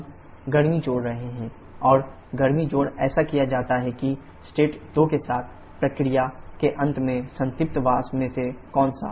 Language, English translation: Hindi, We are adding heat and heat addition is done such that at the end of the process with state 2, which of saturated vapour